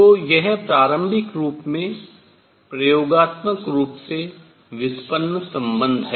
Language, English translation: Hindi, So, this is an initially experimentally derived relation